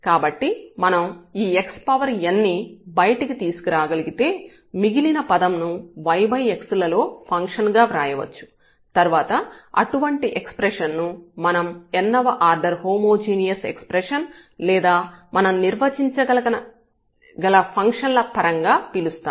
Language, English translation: Telugu, So, if we can bring this x power n and then the rest term can be written as a function of y over x, then we call such expression as a a homogeneous expression of order n or in terms of the functions we can define